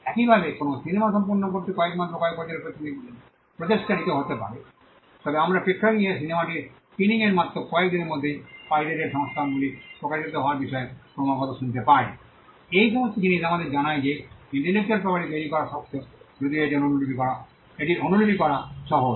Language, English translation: Bengali, Similarly, a movie may take months or years of effort to complete, but we hear constantly about pirated versions coming out within just few days of screening of the movie in the theaters; all these things tell us that though it is hard to create an intellectual property it is easy to replicate